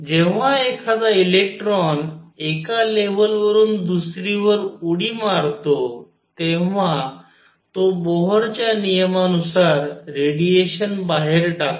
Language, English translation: Marathi, When an electron makes a jump from one level to the other it gives out radiation by Bohr’s rule